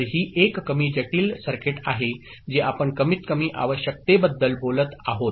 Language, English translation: Marathi, So, that is a more complex circuit we are talking about the minimal requirement